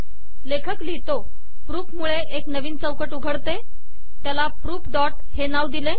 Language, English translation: Marathi, He says proof, it opens another window, calls it proof dot